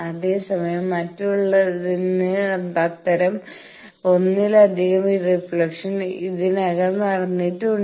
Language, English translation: Malayalam, Whereas, for others there are multiple such reflections have already taken place